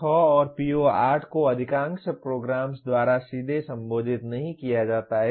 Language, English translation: Hindi, PO6 and PO8 are not directly addressed by most of the programs